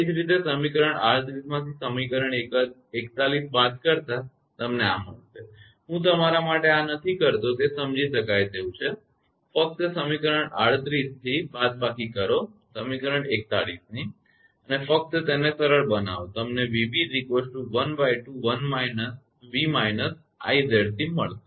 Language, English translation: Gujarati, Similarly your subtract equation 41 from equation 38 you will get this one, I am not doing for you it is understandable you just from equation 38 you subtract equation 41 and just simplify you will get v b will be half of v minus I into Z c this is equation 44 right